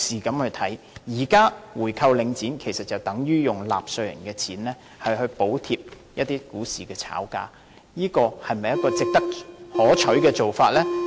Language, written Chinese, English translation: Cantonese, 現時購回領展等於用納稅人的錢來補貼股市炒家，這是否可取的做法呢？, Buying back Link REIT at this time is tantamount to subsidizing speculators in the stock market with taxpayers money . Is this a desirable approach?